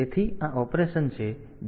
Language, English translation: Gujarati, So, it will be operating